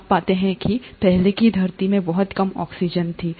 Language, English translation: Hindi, You find that the earlier earth had very low oxygen